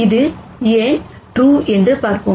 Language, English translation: Tamil, And let us see why that is true